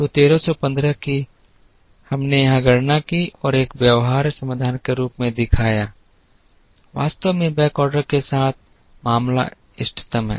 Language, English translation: Hindi, So, the 1315 that we calculated here and showed as a feasible solution is actually optimal with the case with backorder